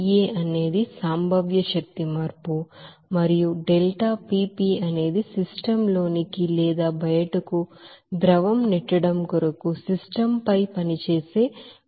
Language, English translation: Telugu, deltaPE is the potential energy change and deltaPV is the you know flow work that is performed on the system in order to push the fluid in or out of the system